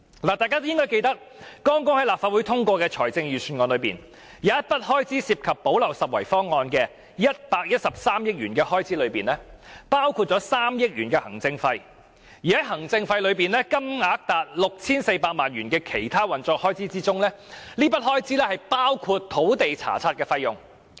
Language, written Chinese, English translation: Cantonese, 大家應記得，剛在立法會通過的財政預算案中，有一筆涉及"補漏拾遺"方案的113億元開支，當中包括3億元行政費，而在這筆行政費中，有高達 6,400 萬元用作其他運作開支，包括土地查冊費用。, Members should recall that in the Budget just approved by the Legislative Council there is a gap - plugging proposal involving an expenditure of 11.3 billion which includes 300 million in administration costs out of which 64 million will be spent on other operational costs such as land search fees